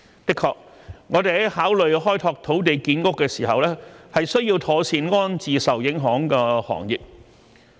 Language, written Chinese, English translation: Cantonese, 的確，我們在考慮開拓土地建屋時，需要妥善安置受影響的行業。, Indeed we need to properly relocate affected industries when considering the development of land for housing production